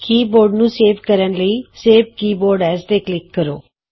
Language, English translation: Punjabi, To save the keyboard, click Save Keyboard As